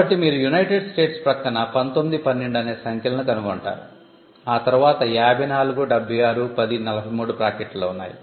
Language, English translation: Telugu, So, you will find these numbers next to United States 1912, then there is 1043 all in brackets 54, 76